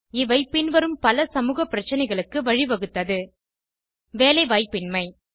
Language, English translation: Tamil, These lead to a lot of social problems like: Unemployment